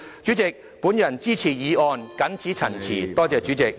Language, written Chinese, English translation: Cantonese, 主席，我支持議案，謹此陳辭。, With these remarks President I support the motion